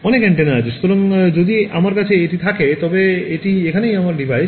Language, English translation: Bengali, Many antenna Many antennas right; so, if I have this is the ground and this is my device over here